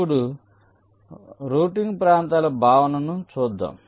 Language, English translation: Telugu, ok, now let us come to the concept of routing regions